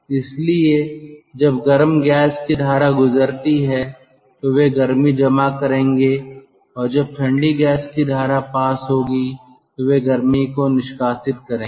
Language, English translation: Hindi, so when the hot gas stream passes they will store heat and when the cold gas stream passes they will relegate